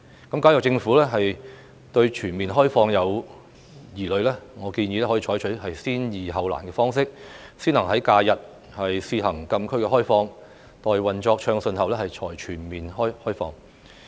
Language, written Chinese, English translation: Cantonese, 如果政府對全面開放有疑慮，我建議可採取先易後難的方式，先行在假日試行禁區開放，待運作暢順後才全面開放。, If the Government has doubts about a full opening up I suggest that it can adopt the approach of tackling easier issues first by opening up the closed area on holidays on a pilot basis first and then for the rest of the days when smooth operation has been achieved